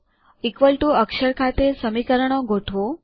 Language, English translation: Gujarati, Align the equations at the equal to character